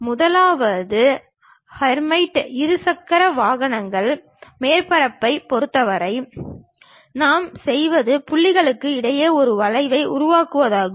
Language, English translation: Tamil, The first one, in terms of Hermite bi cubic surfaces, what we do is we construct a curve between points